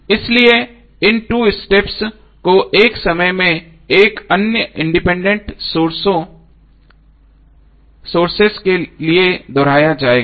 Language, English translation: Hindi, So these 2 steps would be repeated for other independent sources taken one at a time